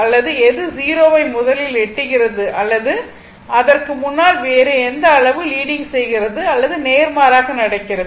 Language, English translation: Tamil, Or which one is reaching to 0 before the other one that quality leading or vice versa, right